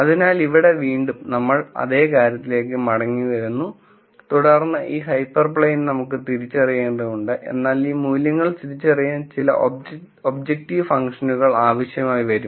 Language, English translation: Malayalam, So, here again we come back to the same thing and then we say look we want to identify this hyper plane, but I need to have some objective function that I can use to identify these values